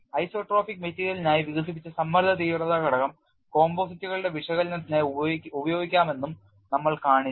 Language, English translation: Malayalam, And we have also shown whatever the stress intensity factor developed for isotropic material could be used for composites analysis